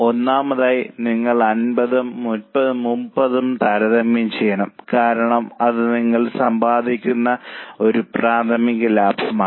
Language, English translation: Malayalam, Firstly, you have to compare 50 and 30 because that is a primary profit you are earning